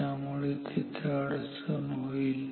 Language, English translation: Marathi, So, there is a problem